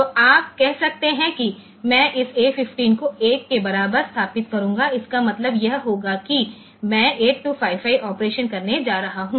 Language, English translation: Hindi, So, you can say that I will be setting this A 15 equal to 1, it will mean that I am going to do the 8255 operation